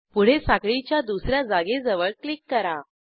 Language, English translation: Marathi, Next, click near the second chain position